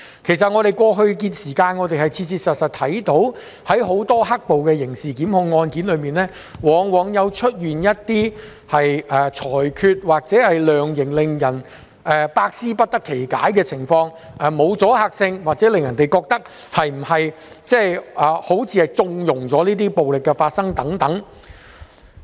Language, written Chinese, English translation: Cantonese, 其實我們過去的時間，切切實實看到很多"黑暴"的刑事檢控案件中，一些裁決或量刑往往出現令人百思不得其解的情況，例如沒有阻嚇性或令人覺得法官是否在縱容這些暴力行為發生等。, Actually we have been baffled by the judgments and sentencing decisions in some criminal prosecution cases related to black - clad riots in the past as some of them lacked deterrent effect or made the public wonder if the relevant judge was conniving at those violent behaviours